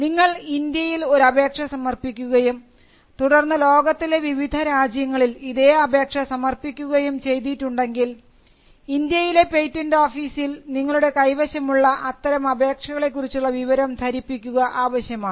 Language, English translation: Malayalam, If you had filed an application in India and followed it up with applications around the world, foreign applications, then you need to keep the Indian patent office informed, as to, the possession of those applications